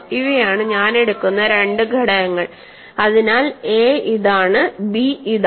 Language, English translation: Malayalam, So, these are the two elements I will take, so a is this, b is this